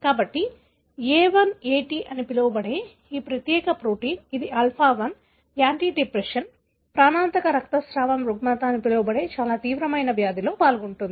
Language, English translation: Telugu, So, this particular protein, called A1AT, which is Alpha 1 antitrypsin, is involved in a very severe disease called as lethal bleeding disorder